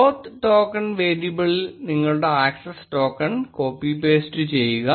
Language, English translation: Malayalam, Copy paste your access token in the oauth token variable